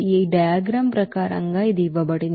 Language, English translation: Telugu, It is given as per this diagram